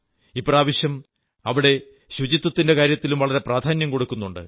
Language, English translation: Malayalam, This time much emphasis is being laid on cleanliness during Kumbh